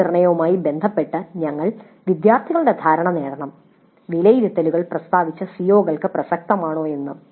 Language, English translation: Malayalam, So, we should get the students perception regarding the assessments, whether the assessments were relevant to the stated COs